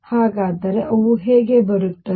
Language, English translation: Kannada, So, how do they come through